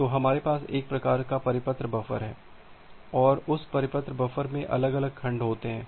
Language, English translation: Hindi, So, we have a kind of circular buffer and that circular buffer contains individual segment